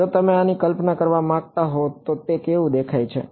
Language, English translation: Gujarati, If you wanted to visualize this what does it look like